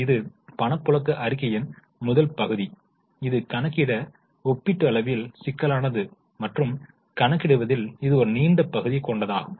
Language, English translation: Tamil, This is the first part of cash flow statement which is comparatively complicated to calculate and it is a lengthier part